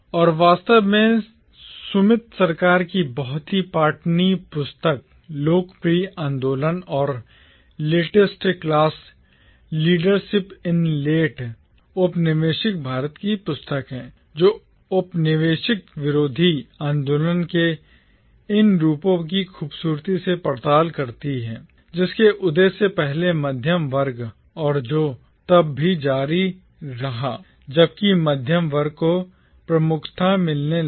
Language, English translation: Hindi, And indeed, there is this other book by Sumit Sarkar, the very readable book titled “Popular” Movements and “Middle Class” Leadership in Late Colonial India, which beautifully explores these forms of anti colonial agitations, which preceded the rise of the middle class and which continued even while the middle class started gaining prominence